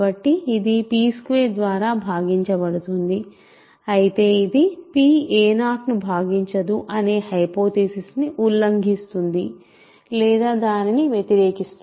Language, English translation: Telugu, So, this is divisible by p squared, but this violates or contradicts the hypothesis that p does not divide a 0, right